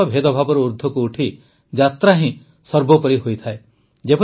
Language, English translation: Odia, Rising above all discrimination, the journey itself is paramount